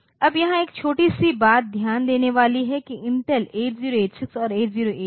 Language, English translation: Hindi, Now, there is a small thing to notice here that Intel 8086 and this number is 8088